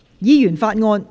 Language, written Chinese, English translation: Cantonese, 議員法案：首讀。, Members Bill First Reading